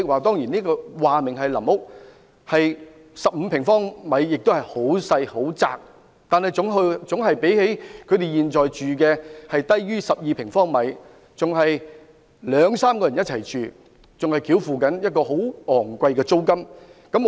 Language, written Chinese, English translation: Cantonese, 由於說明是臨屋 ，15 平方米其實也是很狹窄的，但總較他們現時居於面積不足12平方米較好，而且他們現時是要兩三人一同居住，並要繳付昂貴租金。, An area of 15 square metres is very small yet on the premise of providing transitional housing it will be better than their existing living environment where two to three persons crowd in a unit of less than 12 sq m and the rent is exorbitant